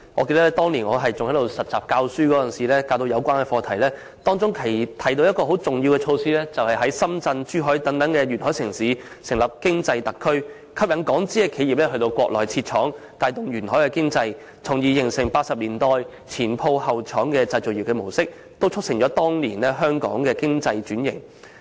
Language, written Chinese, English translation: Cantonese, 記得當年我擔任實習老師教授有關課題時，當中提到的一項很重要措施是在深圳、珠海等沿海城市成立經濟特區，吸引港資企業到國內設廠，帶動沿海經濟，從而形成1980年代"前鋪後廠"的製造業模式，也促成當年香港經濟轉型。, I recall that when giving lessons on the subject as a beginning teacher back in those years a very important measure that I ought to mention was the establishment of Special Economic Zones in coastal cities such as Shenzhen and Zhuhai to attract Hong Kong - funded enterprises to set up factories on the Mainland thereby vitalizing the economy of these cities . A pattern featuring a shop at the front and a factory at the back was thus formed in the manufacturing industry in the 1980s when Hong Kong was made to undergo a round of economic restructuring